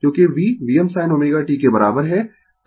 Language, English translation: Hindi, Because, V is equal V m sin omega t